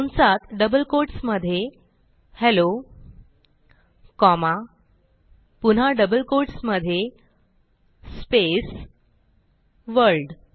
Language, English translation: Marathi, Within parentheses in double quotes Hello comma in double quotes space World